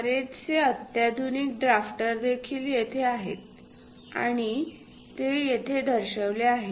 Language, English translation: Marathi, Most sophisticated drafters are also there, and those are shown here